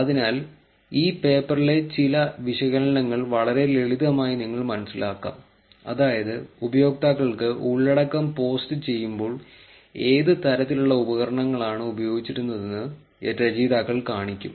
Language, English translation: Malayalam, So, you will find some of the analysis in this paper pretty simple, which is the authors will just show you what kind of devices that the users had when they posted the content